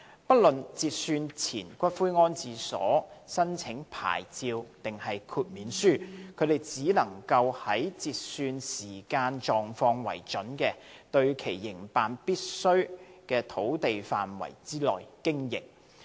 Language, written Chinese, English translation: Cantonese, 不論截算前骨灰安置所申請牌照還是豁免書，它們只能在以截算時間狀況為準的、對其營辦屬必需的土地範圍內經營。, Insofar as a pre - cut - off columbarium is concerned irrespective of whether the columbarium is applying for a licence or an exemption its occupation of land is limited to the extent as was necessary for its operation as at the cut - off time